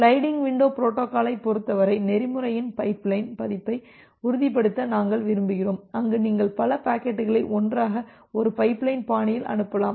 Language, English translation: Tamil, In case of the sliding window protocol we want to ensure a pipeline version of the protocol where you can send multiple packets all together in a pipeline fashion